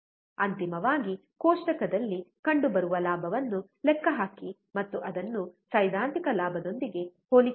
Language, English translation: Kannada, Finally, calculate the gain observed in the table and compare it with the theoretical gain